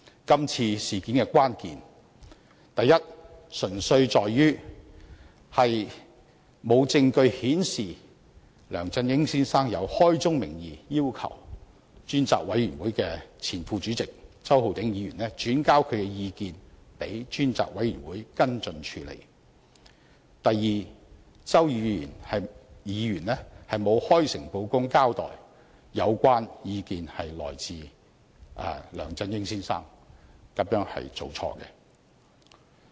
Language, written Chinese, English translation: Cantonese, 今次事件的關鍵純粹在於：第一，沒有證據顯示梁振英曾開宗明義要求專責委員會前副主席周浩鼎議員，轉交他的意見予專責委員會跟進處理；第二，周議員沒有開誠布公地交代有關意見是來自梁振英先生，這是做錯了。, The key issues of the current incident are first there is no evidence indicating that LEUNG Chun - ying has explicitly requested Mr Holden CHOW the former Deputy Chairman to forward his views to the Select Committee for follow - up actions; second Mr CHOW did not candidly inform the Select Committee that the views were raised by Mr LEUNG Chun - ying hence he made a mistake